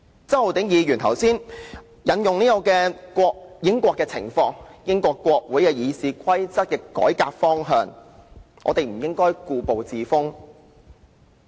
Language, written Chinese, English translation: Cantonese, 周浩鼎議員剛才引用英國的情況，並說及英國國會議事規則的改革方向，所以我們不應故步自封云云。, Just now Mr Holden CHOW made reference to the situation of the United Kingdom and said that given the direction of reforming the rules of procedure of the British Parliament we should not be complacent with the status quo and so on and so forth